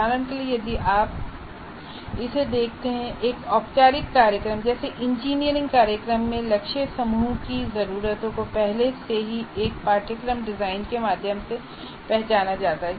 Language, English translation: Hindi, For example, if you look at this, the needs of the target group in a formal program like an engineering program, the needs of the target group are already identified by through the curriculum design